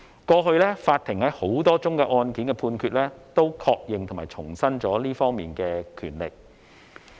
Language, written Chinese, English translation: Cantonese, 過去法庭在多宗案件的判決均確認和重申這方面的權力。, This power of the legislature has been repeatedly confirmed and restated by court in the judgments of a number of court cases